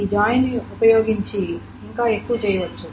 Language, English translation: Telugu, Using the join, something more can be done